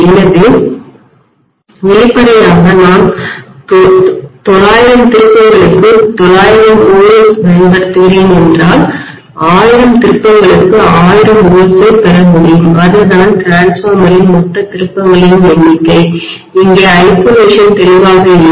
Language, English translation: Tamil, So obviously if I am applying 900 volts to the 900 turns then I would be able to get 1000 volts out of 1000 turns which are the total number of turns in the transformer there is no isolation here clearly